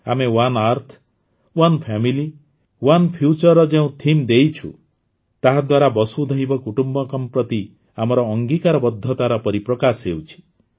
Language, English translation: Odia, The theme that we have given "One Earth, One Family, One Future" shows our commitment to Vasudhaiva Kutumbakam